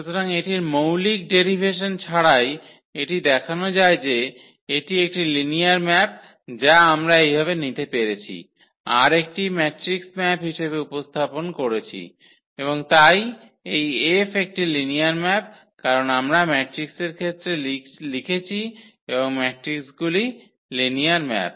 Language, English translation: Bengali, So, without that fundamental derivation of this to show that this is a linear map we have taken this way that this we can represent as a matrix map and therefore, this F is a linear map because we have written in terms of the matrix and matrixes are linear map